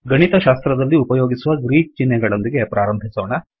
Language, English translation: Kannada, Let us start with Greek symbols that are used in mathematics